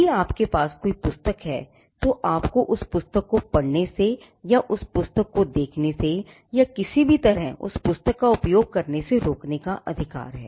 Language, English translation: Hindi, If you own a book, you have the right to exclude people from reading that book or from looking into that book, or from using that book in any way